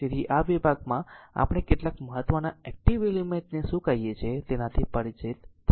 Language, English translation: Gujarati, So, in this section we will be familiar with some of the your what you call that important active element